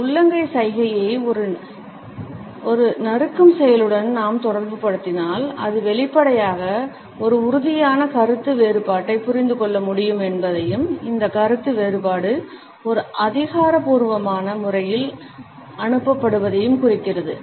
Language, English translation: Tamil, If we associate this palm down gesture with a chopping action, then it indicates as we can, obviously, understand an emphatic disagreement and this disagreement is passed on in an authoritative manner